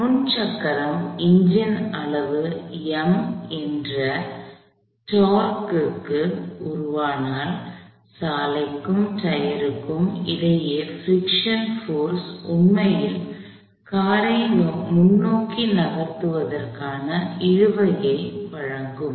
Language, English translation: Tamil, If the front wheel, if the engine produces a torque of magnitude M, then the friction between the road and the tyre, so if this was a road and this is a tyre, the friction force would actually provide attraction to move the car in a forward sense